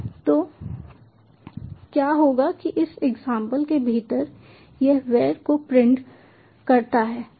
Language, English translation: Hindi, so what will happen is, within this example it prints var